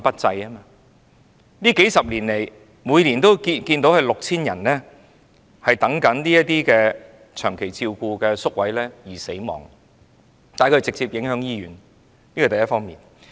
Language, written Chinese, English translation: Cantonese, 這數十年來，每年有 6,000 人在輪候長期照顧宿位期間死亡，他們直接影響醫院，這是第一方面。, In these few decades 6 000 people passed away each year while they were waiting for long - term care places for the elderly posing a direct impact on hospitals . This is the first aspect